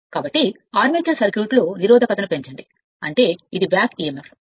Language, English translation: Telugu, So, increase the resistance in the armature circuit means the, this is your back Emf